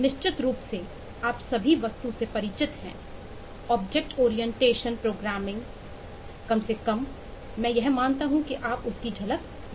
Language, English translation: Hindi, () are familiar with object oriented programming, at least I assume that you know glimpses of that